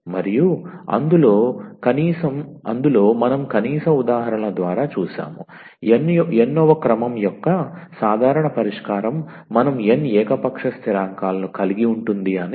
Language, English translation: Telugu, And in that we have seen at least through the examples that a general solution of nth order we will contain n arbitrary constants ok